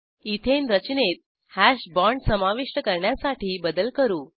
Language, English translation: Marathi, Let us change the bonds to Add a hash bond in the Ethane structure